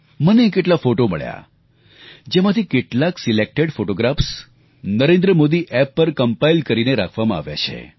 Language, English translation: Gujarati, I received a lot of photographs out of which, selected photographs are compiled and uploaded on the NarendraModiApp